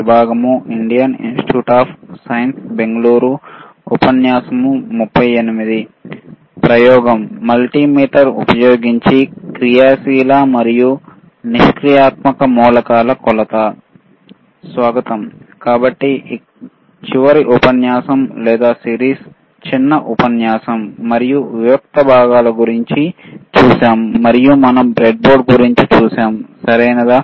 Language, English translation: Telugu, So, last module or series, short lecture, we have seen about the discrete components, and we have seen about the breadboard, right